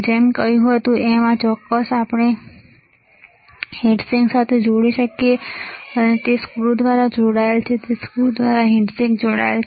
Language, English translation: Gujarati, Like I said this particular thing we can connect to heatsink you can see here it is connected through a screw it is connected through a screw to a heatsink